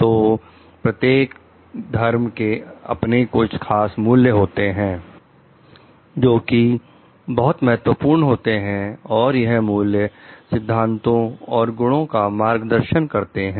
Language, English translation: Hindi, So, every religion has like certain values which are important and these values are the guiding principles or a virtues